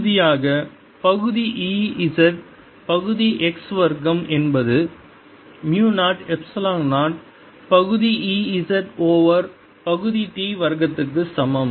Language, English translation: Tamil, and finally, partial of e, z, partial x square is equal to mu zero, epsilon zero, partial e z over partial t square